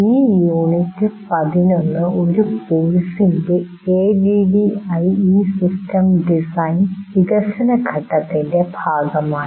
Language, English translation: Malayalam, This unit 11 is a part of the development phase of ADDY system design of a course